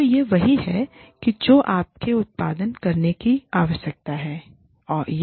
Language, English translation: Hindi, So, this is what you need, in order to produce, this